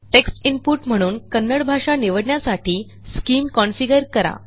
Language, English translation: Marathi, Configure SCIM to select Kannada as a language for text input